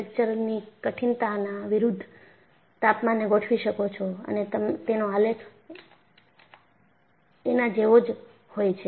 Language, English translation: Gujarati, So, you plot temperatures versus fracture toughness and the graph is like this